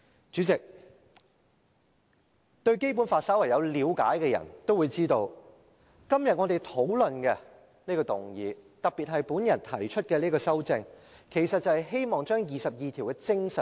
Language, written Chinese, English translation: Cantonese, 主席，對《基本法》稍為有了解的人也會知道，今天我們所討論的這項議案，特別是我提出的這項修正案，其實是希望加入《基本法》第二十二條的精神。, President anyone with some knowledge of the Basic Law should know that the motion we discuss today and particularly the amendment proposed by me actually aim at incorporating the spirit of Article 22 of the Basic Law